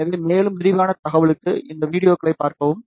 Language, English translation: Tamil, So, for more detail information, please see these videos